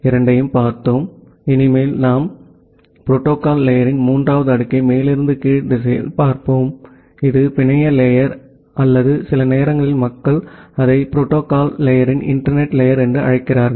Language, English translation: Tamil, So, from now onwards we will look into the third layer of the protocol stack from top to bottom direction; that is the network layer or sometime people call it as the internet layer of the protocol stack